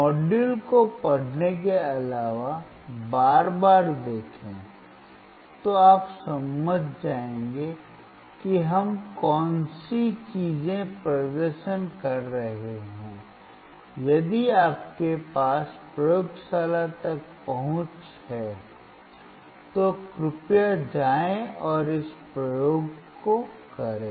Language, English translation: Hindi, Other than reading look at the module see again and again then you will understand, what are the things that we are performing, if you have access to the laboratory, please go and perform this experiment